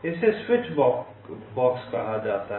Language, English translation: Hindi, this is called a switch box